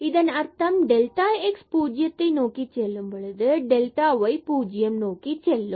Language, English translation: Tamil, So, this when delta x and delta y goes to 0